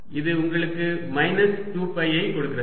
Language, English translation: Tamil, so this gave you a minus sign here